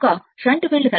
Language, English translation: Telugu, The shunt field circuit right